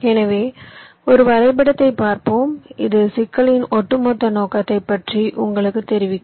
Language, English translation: Tamil, ok, so let's look at a diagram which will, ah, just apprise you about the overall scope of the problem that we are talking about